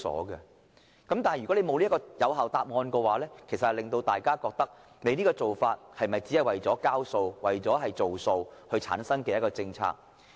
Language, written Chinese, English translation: Cantonese, 如果當局未能提供有效答案，大家難免會認為，這只不過是為了"交數"和"做數"而制訂的政策。, If the authorities fail to give good answers to these questions people cannot help but think that the new policy is merely introduced to make the numbers look better or to fulfil the pledged target